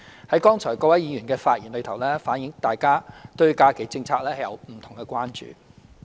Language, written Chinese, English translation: Cantonese, 從各位議員剛才的發言中，反映大家對假期政策有不同的關注。, The speeches delivered by Members show that there are different concerns about holiday policy